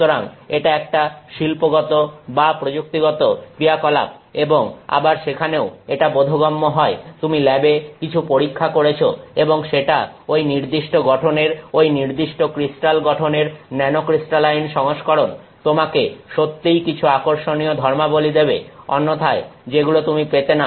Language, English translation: Bengali, So, this is an industrial or technological activity and again there also it makes sense, you have tested something in the lab and that the nanocrystalline version of that particular composition that particular crystal structure gives you some really interesting property which you will not otherwise get